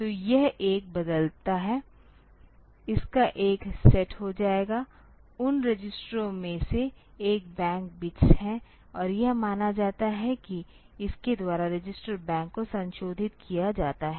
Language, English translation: Hindi, So, it changes one of it sets; one of those registers bank bits and it is assumed that by this the register bank is modified